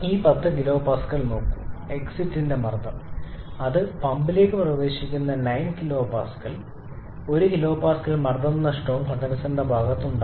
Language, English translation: Malayalam, And look at this 10 kPa is the pressure of the condenser exit and it enters the pump it enters with 9 kPa, so 1 kPa pressure loss is also present in the condenser side